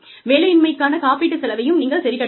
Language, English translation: Tamil, You also need to cover, the cost of unemployment insurance